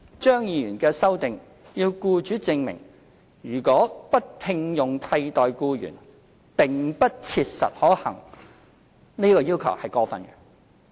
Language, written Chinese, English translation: Cantonese, 張議員的修正案要僱主證明如果不聘用替代僱員並不切實可行，這項要求是過分的。, Dr CHEUNGs amendments require the employer to show that it is not practicable for the employer not to engage a replacement